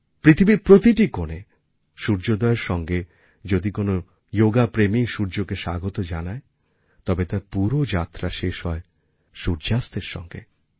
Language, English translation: Bengali, In any corner of the world, yoga enthusiast welcomes the sun as soon it rises and then there is the complete journey ending with sunset